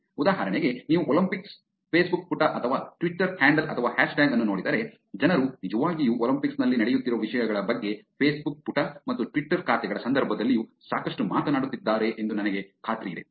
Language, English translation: Kannada, For example, now I am sure if you look at the Olympics Facebook page or the twitter handle or the hashtag, people are actually talking a lot about things that are going on in the Olympics in the context of Facebook page and Twitter accounts also